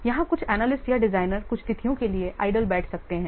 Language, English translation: Hindi, Here some analyst or designers may sit idle for some days